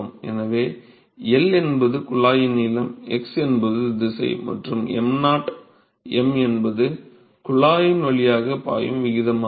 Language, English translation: Tamil, So, L is the length of the tube, x is the actual direction and m naught m dot is the rate at which we mass is flowing through the tube